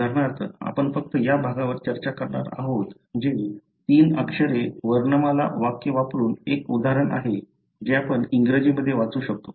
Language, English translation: Marathi, For example, we are going to discuss only this part that is the one example using the three letter alphabetic sentence that we can read in English